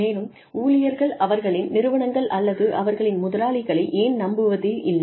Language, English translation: Tamil, And, why employees do not tend to trust, their organizations, or their employers